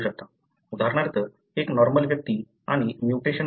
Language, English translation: Marathi, So, for example, a normal individual and an individual who carries the mutation